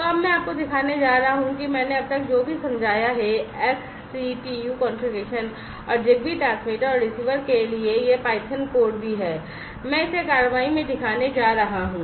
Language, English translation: Hindi, So, now, I am going to show you whatever I have explained so far, the XCTU configuration and also this python code for the ZigBee transmitter and the receiver, I am going to show it in action